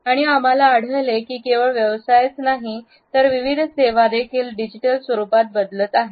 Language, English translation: Marathi, And we find that not only the professions, but services also are shifting to digital modalities